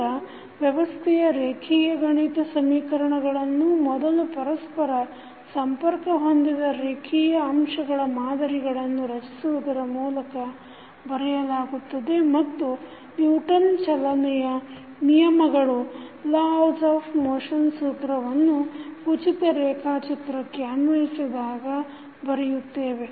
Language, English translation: Kannada, Now, the equations of linear mathematical system are written by first constructing model of the system containing interconnected linear elements and then by applying the Newton’s law of motion to the free body diagram